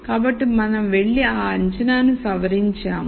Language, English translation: Telugu, So, we go and modify that assumption